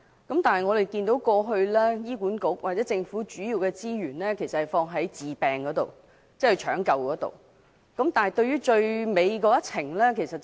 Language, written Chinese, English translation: Cantonese, 不過，醫管局或政府的資源過去主要投放在治療方面，忽略了病人在人生最後一程的需要。, However in the past the resources of HA or the Government were allocated mainly to curative care to the neglect of patients needs at the final stage of their life